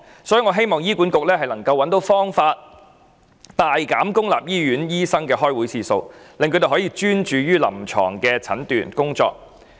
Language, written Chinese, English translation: Cantonese, 所以，我希望醫管局能夠找方法大減公立醫院醫生的開會次數，令他們可以專注臨床診斷工作。, Therefore I hope HA can conceive ways to drastically reduce the number of meetings for public hospital doctors so that they can focus on offering clinical treatment